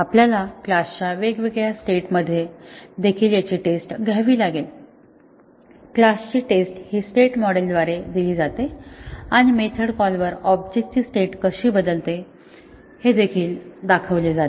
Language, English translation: Marathi, We have to also test it in different states of the class, the states of the class is given by a state model and which specifies how the object state changes upon method calls